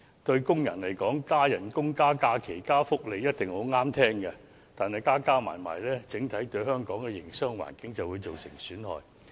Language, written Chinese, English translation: Cantonese, 對工人來說，加工資、加假期、加福利一定很中聽，但全部相加起來，對香港整體的營商環境便會造成損害。, To the workers an increase of wages an increase of leave days and an increase of welfare are certainly pleasing to their ears but the adding up of these increases will take toll on the overall business environment in Hong Kong